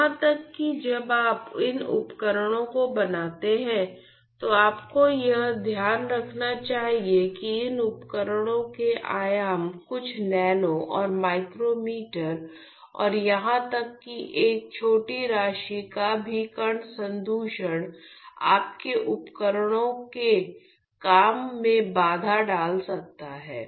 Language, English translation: Hindi, So, even while you fabricate these devices you should keep in mind that the dimensions of these devices are a few nano and micrometers and even a small amount of particulate contamination can hamper the working of your devices